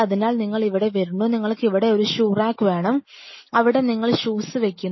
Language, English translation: Malayalam, So, you come here will leave you say you have to have a shoe rack here, where will be living your shoes